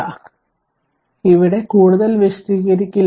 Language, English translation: Malayalam, So, here I will not explain much